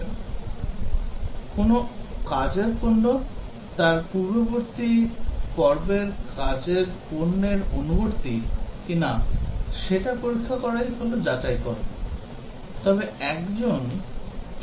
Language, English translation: Bengali, Verification is checking whether a work product conforms to its previous phase work product, but how does one verify